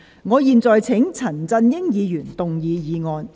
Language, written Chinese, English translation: Cantonese, 我現在請陳振英議員動議議案。, I now call upon Mr CHAN Chun - ying to move the motion